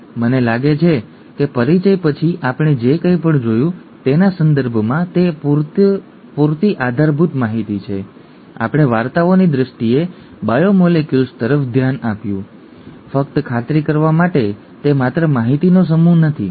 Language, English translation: Gujarati, I think that is good enough basal information in terms of whatever we looked at after an introduction, we looked at biomolecules, in terms of stories and so on, just to make sure, it is just not a set of information